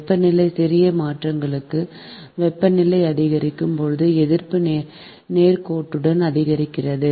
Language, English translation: Tamil, right for small changes in temperature, right, the resistance increases linearly as temperature increases